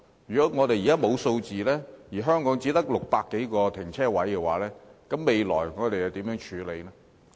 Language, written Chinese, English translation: Cantonese, 如果我們現在沒有數字，而香港只有600多個停車位，將來如何處理？, If we do not have the figures now and only 600 - plus parking spaces are provided in Hong Kong how can we handle the situation in the future?